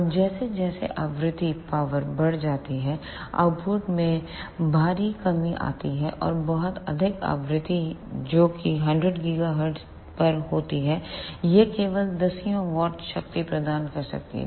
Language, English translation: Hindi, And as frequency increases power, output decreases drastically and at very high frequency that is at 100 gigahertz, it can provide only tens of watts of power